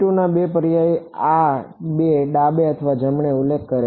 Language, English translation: Gujarati, No the U 2 two enough this two refers to left or right